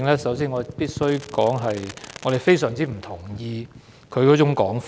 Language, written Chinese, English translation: Cantonese, 首先，我必須表示我非常不同意他的說法。, First of all I must say that I strongly disagree with what Mr CHOW said